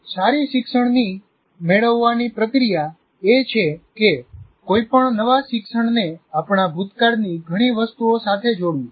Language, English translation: Gujarati, So the process of good learning is to associate any new learning to many things from our past